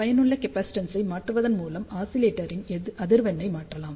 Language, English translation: Tamil, And by changing the effective capacitance, we can change the resonance frequency of the oscillator